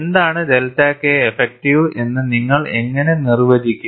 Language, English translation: Malayalam, And how do you define, what is delta K effective